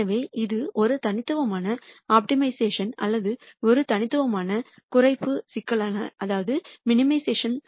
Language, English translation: Tamil, So, this becomes a univariate optimization or a univariate minimization problem